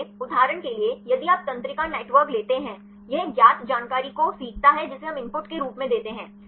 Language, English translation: Hindi, So, for example, if you take the neural networks; it learns the known information that is what we give as input